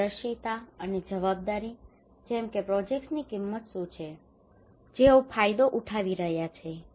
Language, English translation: Gujarati, Transparency and accountability, like that what is the cost of the projects, who are benefiting out of it okay